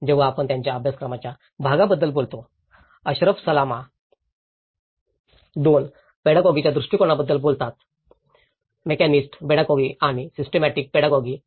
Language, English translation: Marathi, When we talk about the curriculum part of it; Ashraf Salama talks about 2 sets of pedagogy approaches; mechanist pedagogy and the systemic pedagogy